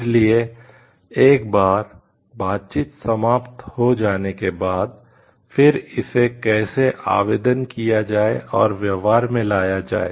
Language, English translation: Hindi, So, after the negotiations have happened then how again to apply it and implement it